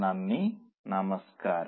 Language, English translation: Malayalam, Namaste, thank you